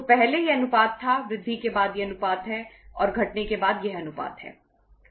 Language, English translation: Hindi, So earlier it was the ratio, after increase this is the ratio and after decrease this is the ratio